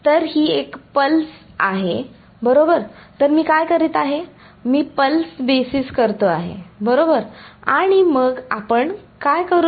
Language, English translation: Marathi, So, this is a pulse right, so, what I am doing I am doing pulse basis right and then what do we do